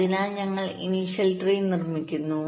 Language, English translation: Malayalam, so we construct the initials tree